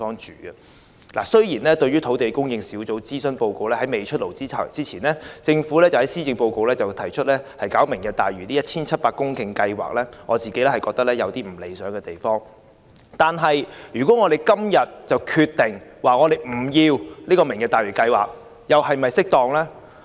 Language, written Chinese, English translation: Cantonese, 政府在土地供應專責小組的諮詢報告"出爐"前，於施政報告提出"明日大嶼"的 1,700 公頃填海計劃，雖然做法不太理想，但我們今天若貿然決定不要"明日大嶼"計劃，又是否恰當？, Although it is undesirable for the Government to announce before the Task Force on Land Supply released its consultation report the reclamation of 1 700 hectares of land under Lantau Tomorrow in the Policy Address will it be right and proper for us to turn down this project hastily today?